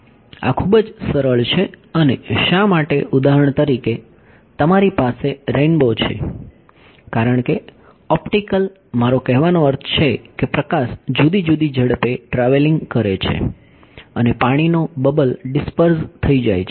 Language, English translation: Gujarati, this is very easy and why for example, you have a rainbow because the optical I mean light is travelling at different speeds and the water bubble it disperses ok